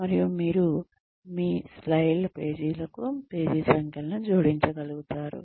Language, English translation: Telugu, And, you will be able to add page numbers, to your slides